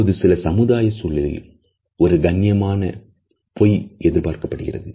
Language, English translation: Tamil, Now there are certain social situations where a polite lie is perhaps expected